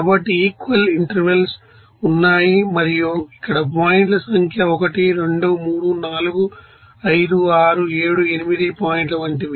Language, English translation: Telugu, So, equal intervals is there and here number of points are like 1, 2, 3, 4, 5, 6, 7, 8 point